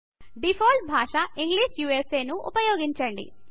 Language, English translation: Telugu, Use English as your default language